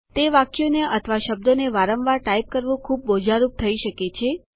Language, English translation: Gujarati, It can be cumbersome to type these sentences or words again and again